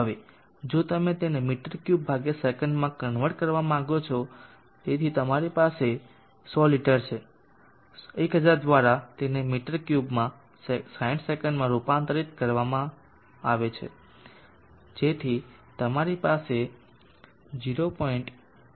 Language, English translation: Gujarati, Now if you want to convert it into m3/sec, so you have 100 leaders by 1000 to convert it into m3/ s so you have 100 liters by 1000 to convert it into m3 /60 s so in our 0